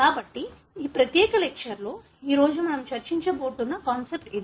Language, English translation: Telugu, So, this is the concept that we are going to discuss today, in this particular lecture